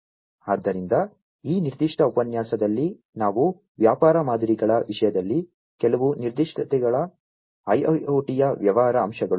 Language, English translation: Kannada, So, in this particular lecture, what we have gone through are some of the specificities in terms of business models, the business aspects of IIoT